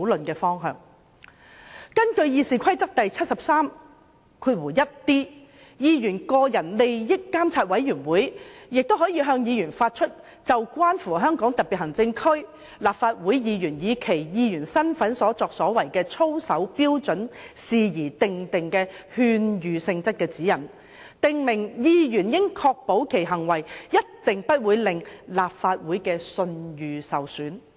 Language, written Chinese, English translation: Cantonese, 根據《議事規則》第 731d 條，議員個人利益監察委員會可就關乎香港特別行政區立法會議員以其議員身份所作行為的操守標準事宜訂定勸諭性質的指引，訂明議員應確保其行為一定不會令立法會的聲譽受損......, According to RoP 731d the Committee on Members Interests may issue advisory guidelines on matters of ethics in relation to the conduct of Members of the Legislative Council of the Hong Kong Special Administrative Region in their capacity as such to ensure that Members conduct must not be such as to bring discredit upon the Legislative Council